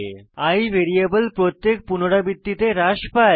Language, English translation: Bengali, The variable i gets decremented in every iteration